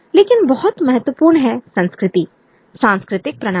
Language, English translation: Hindi, But very important is culture, you know, the cultural system